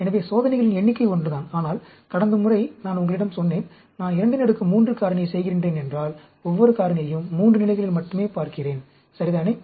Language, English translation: Tamil, So, the number of experiments is the same, but like last time, I told you, if I am doing a factorial, 2 raised to the power 3, I am looking at each factor only at 3 levels, right